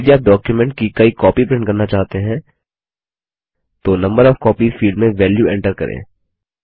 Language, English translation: Hindi, If you want to print multiple copies of the document, then enter the value in the Number of copies field